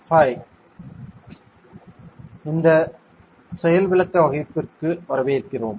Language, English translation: Tamil, Hi, welcome to this is a demonstration class